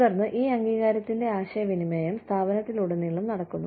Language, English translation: Malayalam, And then, communication of this recognition, throughout the organization